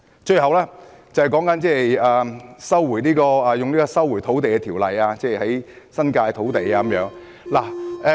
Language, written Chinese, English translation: Cantonese, 最後，便是引用《收回土地條例》收回新界土地的問題。, Finally I wish to speak about invoking the Lands Resumption Ordinance to resume land in the New Territories